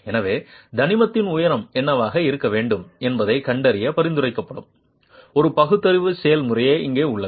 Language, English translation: Tamil, So, here is a rational procedure that is prescribed to identify what should be the height of the element itself